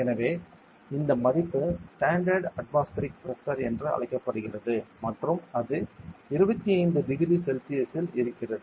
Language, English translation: Tamil, So, this value of is called as standard atmospheric pressure and it is at 25 degree Celsius ok